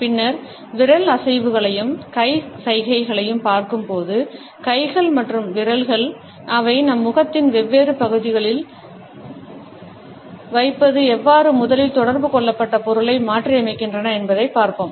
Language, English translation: Tamil, Later on, when we would look at the finger movements as well as hand gestures, we would look at how hands and fingers and their placing on different parts of our face modify the originally communicated meaning